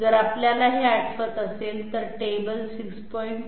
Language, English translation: Marathi, So if we recall that you know 6